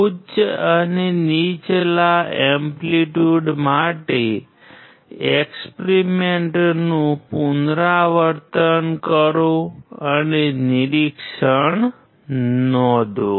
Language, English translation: Gujarati, Repeat the experiment for higher and lower amplitudes and note down the observation